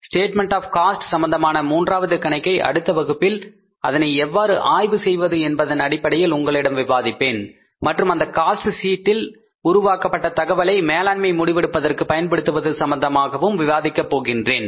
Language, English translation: Tamil, So the third problem with regard to the statement of the cost, I will discuss in the next class along with how to analyze the cost sheet and use that information generated in the cost sheet for the management decision making